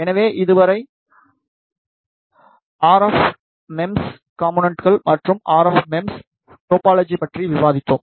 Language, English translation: Tamil, So, far we have discussed about the RF MEMS components and the RF MEMS topology